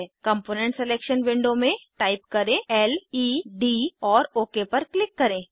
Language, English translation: Hindi, In component selection window type led and click on OK